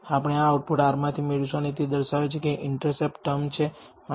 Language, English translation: Gujarati, We will get this output from R and it tells that the intercept term is minus 24